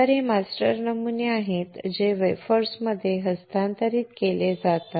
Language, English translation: Marathi, So, these are master patterns which are transferred to the wafers